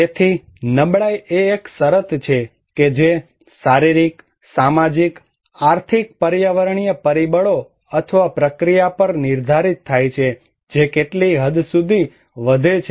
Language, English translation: Gujarati, So, vulnerability is that a condition that determined by physical, social, economic environmental factors or process which increases at what extent